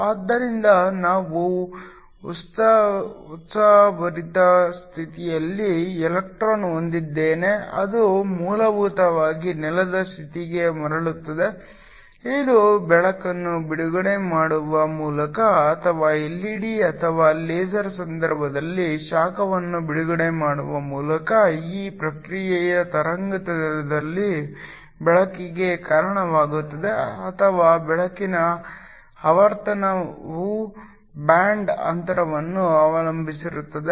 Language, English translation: Kannada, So, I have an electron in the excited state which basically relaxes back to the ground state, we saw that this can happen either by releasing light or releasing heat in the case of an LED or a LASER this process leads to light in the wavelength or the frequency of light depends upon the band gap